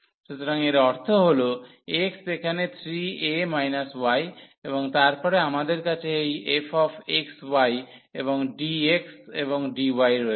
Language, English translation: Bengali, So that means, x here is 3 a minus y and then we have this f x y and dx and dy